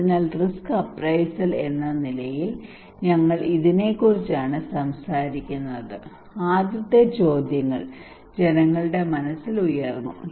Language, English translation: Malayalam, So we are talking about this one as risk appraisal the first questions came to peoples mind